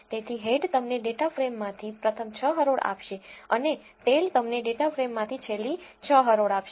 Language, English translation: Gujarati, So, head will give you the first 6 rows from a data frame and tail will give you the last 6 rows from the data frame